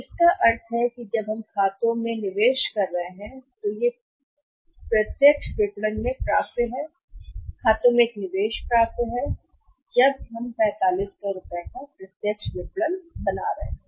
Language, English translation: Hindi, So, it means how much investment we are making in the accounts receivable when it is the direct marketing, the investment in the accounts receivable when we are making in the direct marketing that is 4500